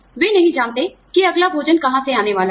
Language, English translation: Hindi, They do not know, where the next meal is, going to come from